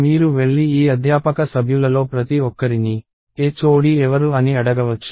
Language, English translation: Telugu, So, of course you could go and ask each one of these faculty members who the HOD is